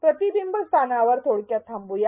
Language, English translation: Marathi, Let us pause at a reflection spot briefly